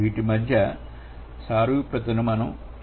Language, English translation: Telugu, We are going to do the analogy between